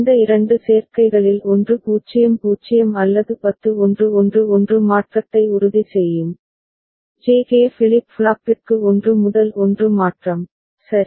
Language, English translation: Tamil, One of these two combinations either 00 or 10 that will ensure 1 1 transition, 1 to 1 transition for J K flip flop, ok